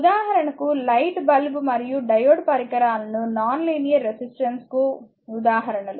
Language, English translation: Telugu, For example, your light bulb and diode are the examples of devices with non linear resistance